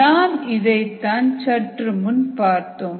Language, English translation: Tamil, that's what we said earlier